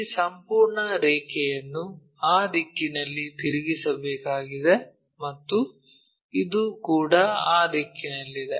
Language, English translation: Kannada, This entire line has to be rotated in that direction and this one also in that direction